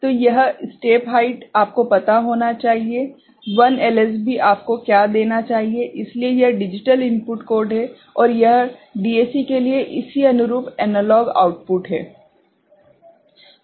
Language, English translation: Hindi, So, this step height should be you know, what 1 LSB should give you, so this is the digital input code, and this corresponding analog output for the DAC right